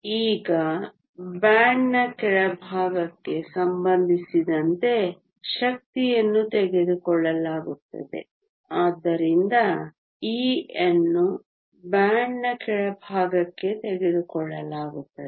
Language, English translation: Kannada, Now, energy is taken with respect to the bottom of the band so e with respect to the bottom of the band